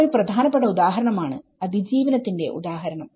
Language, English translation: Malayalam, This is one of the important example, surviving examples